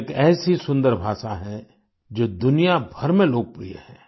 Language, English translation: Hindi, It is such a beautiful language, which is popular all over the world